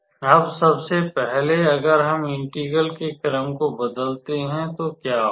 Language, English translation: Hindi, So, first of all if we change the order of integration; so what will happen